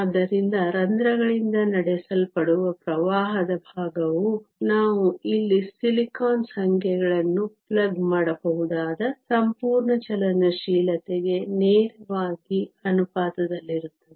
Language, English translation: Kannada, So, the fraction of current carried by holes is directly proportional to the whole mobility we can plug in the numbers for silicon here